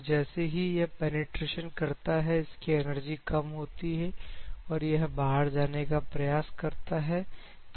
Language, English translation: Hindi, Because as it penetrates it loses it is energy and tries to go out because this is the path that it follows